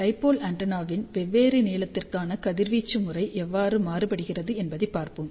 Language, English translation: Tamil, So, let us see how the radiation pattern of the dipole antenna varies for different length